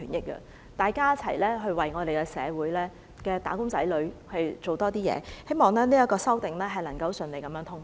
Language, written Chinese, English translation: Cantonese, 希望大家一起為社會的"打工仔女"多做點事，也希望這項修訂能夠順利通過。, I hope together we can do more for the wage earners in society and that this amendment will be passed